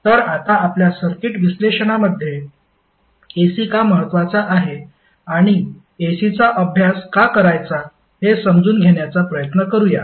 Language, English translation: Marathi, So, now let's try to understand why the AC is important in our circuit analysis and why we want to study